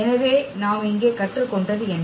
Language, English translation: Tamil, So, what we have learned here